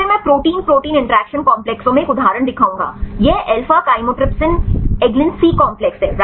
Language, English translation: Hindi, Then I will show one example to the protein protein interaction complexes right this is the alpha chymotrypsin eglin C complex right